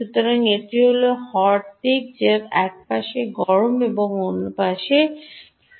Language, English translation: Bengali, one side is the hot and the other is the cold